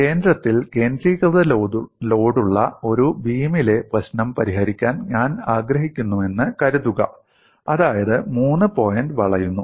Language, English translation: Malayalam, Suppose I want to solve the problem of a beam, with the concentrated load at the center, that means 3 point bending